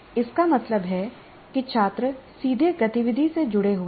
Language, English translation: Hindi, That means students are part of that, they are directly engaged with the activity